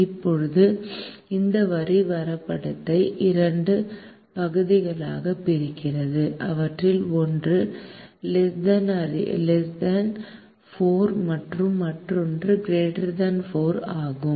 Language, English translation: Tamil, now this line divides the graph into two regions, one of which is less than four and the other is greater than four